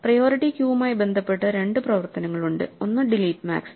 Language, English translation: Malayalam, There are two operations associated with the priority queue, one is delete max